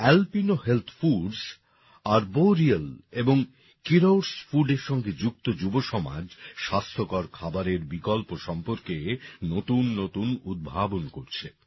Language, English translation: Bengali, The youth associated with Alpino Health Foods, Arboreal and Keeros Foods are also making new innovations regarding healthy food options